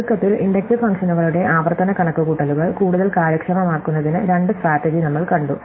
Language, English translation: Malayalam, So, to summarize, we have seen two strategies to make recursive computations of inductive functions more efficient, the first is memoization